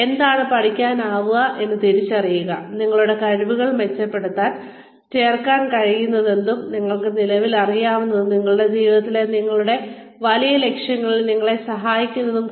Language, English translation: Malayalam, Identify, what you can learn, to improve your potential, and the skills, that you can add to, what you currently know, and help you in, your larger goal in life